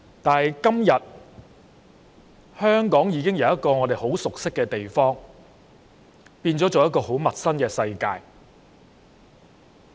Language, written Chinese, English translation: Cantonese, 但是，今天香港已經由我們很熟悉的地方，變為很陌生的世界。, However today Hong Kong has changed from a place we know so well to a strange world